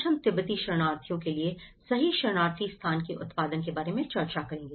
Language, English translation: Hindi, Today, we are going to discuss about the production of refugee place in time in the case of Tibetan refugees